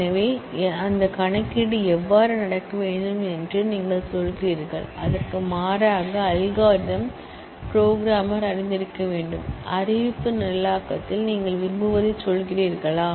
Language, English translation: Tamil, So, you say how that computation has to happen and the programmer must know that algorithm in contrast, in declarative programming, you say what you want